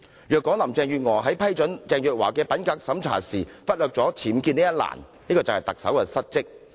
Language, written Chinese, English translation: Cantonese, 如果林鄭月娥在批准鄭若驊的品格審查報告時忽略僭建一欄，便是特首失職。, If Carrie LAM missed the issue on UBWs when she approved the integrity checking report of Teresa CHENG it would be a dereliction of duty on the part of the Chief Executive